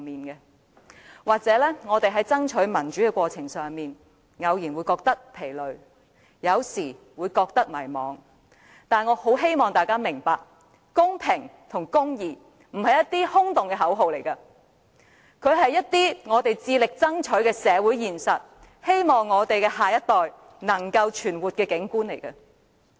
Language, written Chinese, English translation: Cantonese, 也許我們在爭取民主的過程中，偶然會感到疲累和迷茫，但我很希望大家明白，公平和公義並非空洞的口號，而是我們致力爭取的社會現實，是我們希望下一代能夠存活的景況。, Sometimes we may feel exhausted and lost during the fight for democracy . However I hope we will understand that the ideas of fairness and justice are not empty slogans but a social reality that we strive for and the qualities of an environment in which we hope our next generation will live